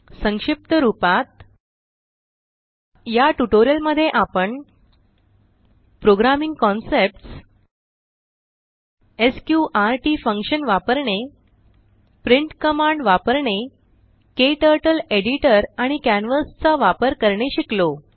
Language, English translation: Marathi, In this tutorial, we have learnt Programming concepts Use of sqrt function Use of print command Using KTurtle editor and canvas